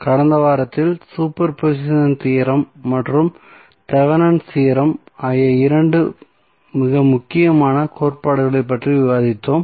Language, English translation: Tamil, So, in the last week we discussed about two very important theorems those were superposition theorem as well as Thevenin's theorem